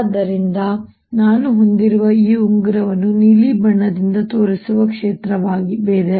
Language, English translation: Kannada, so what i have is this ring in which there is a fields inside shown by blue